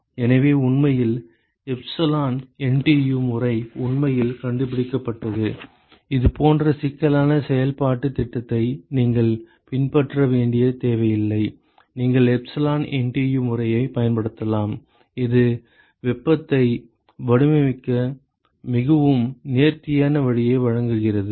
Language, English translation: Tamil, So, in fact, in this premise is what the epsilon NTU method was actually discovered where you do not have to follow such cumbersome iterative scheme, you can simply use the epsilon NTU method which gives you a very elegant way to design the heat exchanger under this kind of a situation